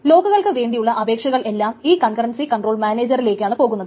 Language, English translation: Malayalam, So all requests for locks are made to this concurrency control manager